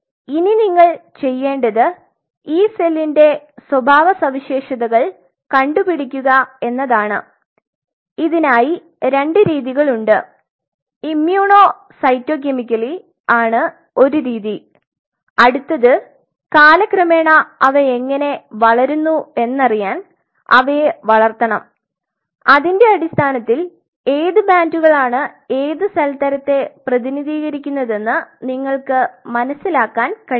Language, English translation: Malayalam, Now what you have to do you have to characterize this cell by two methods immuno cyto chemically is one method and you have to grow them to see their morphology how they grow over period of time based on that you will be able to figure out which bands represent what cell type